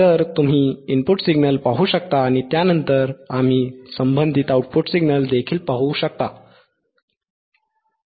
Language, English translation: Marathi, So, you can see the signal input signal and then we can also see the corresponding output signal right ok